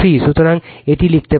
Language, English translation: Bengali, So, this we can write